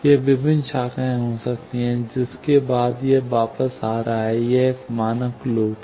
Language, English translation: Hindi, It may be various branches, after that, it is coming back; that is a standard loop